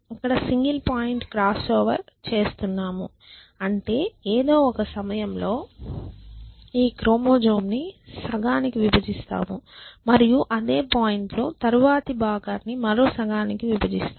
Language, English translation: Telugu, And we are doing this single point crossover which means at some point we will break this chromosome into half and the same point will break the next one into half and then we will exchange the 2 essentially